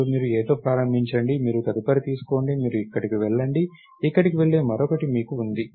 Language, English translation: Telugu, Then, you start with A, you take next, you go here, you have one more next that goes here